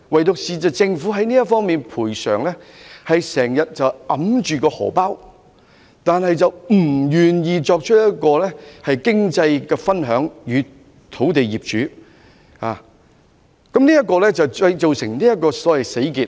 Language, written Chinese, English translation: Cantonese, 只是政府在賠償方面一直過於"手緊"，不願意與土地擁有人分享經濟成果，以致出現一個所謂"死結"。, However the Government has all along been tight - fisted and is unwilling to share the economic fruits with the landowners resulting in a so - called deadlock situation